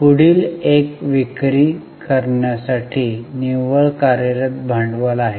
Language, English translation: Marathi, The next one is net working capital to sales